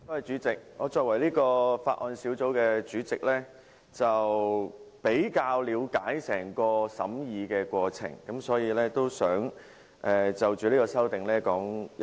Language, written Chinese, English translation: Cantonese, 主席，我作為法案委員會主席，比較了解整個審議過程，所以我想就這項修正案發言。, Chairman as Chairman of the Bills Committee I have a better understanding of the scrutiny process . Hence I would like to speak on this amendment